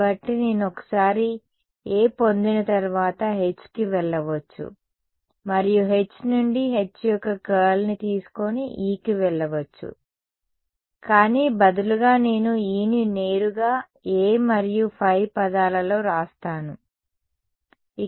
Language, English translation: Telugu, So, I can go from once get A I can go to H and from H I can go to E by taken curl of H, but instead I am writing E directly in terms of A and phi